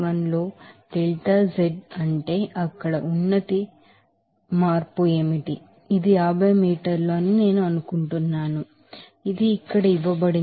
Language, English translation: Telugu, 81 into what is that delta z what is the elevation change there it is I think 50 meter, it is given here